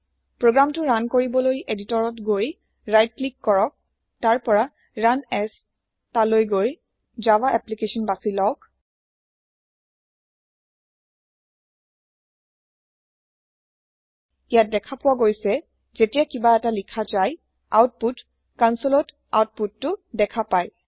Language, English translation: Assamese, To run this program, right click on the editor, go to run as and select java application We see that if somethng is printed, the Output console shows the output